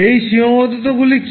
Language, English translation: Bengali, What are those limitations